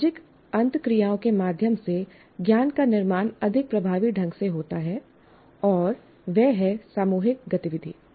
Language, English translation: Hindi, One constructs knowledge more effectively through social interactions and that is a group activity